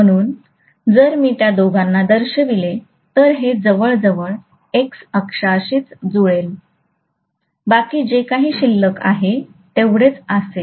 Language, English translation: Marathi, So if I show both of them, this will almost coincide with the X axis itself, there will be hardly anything that will be left out, right